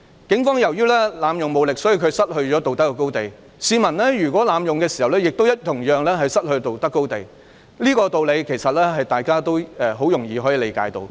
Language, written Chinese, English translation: Cantonese, 警方由於濫用武力，所以失去了道德高地，如果市民濫用武力，同樣也會失去道德高地，這是大家易於理解的道理。, The Police have lost their moral high ground because they have abused their powers . The public will likewise lose their moral high ground in using excessive violence and this is easily comprehensible